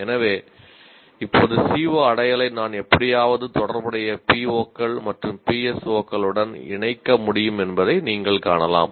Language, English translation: Tamil, So now you can see I can somehow associate the CO attainment to corresponding POS and PSOs